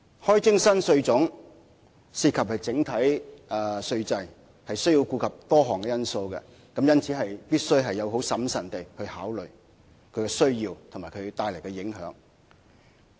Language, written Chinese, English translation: Cantonese, 開徵新稅項涉及整體稅制，要顧及多項因素，因此必須審慎考慮是否有此需要及帶來的影響。, The imposition of new taxes involves the entire taxation system . As we have to take into account many factors we must carefully consider if there is such a need and its impact